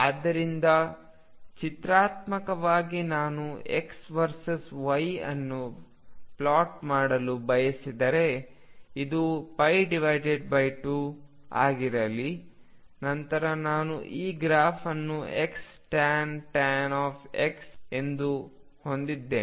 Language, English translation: Kannada, So graphically if I want to plot x versus y that this be pi by 2, then I have this graph as x tangent of x